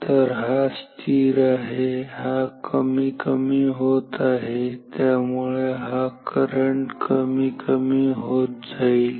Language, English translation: Marathi, So, this is unchanged this is decreasing, so this current will decrease